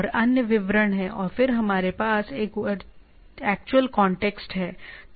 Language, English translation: Hindi, And there are other details and then we have that actual context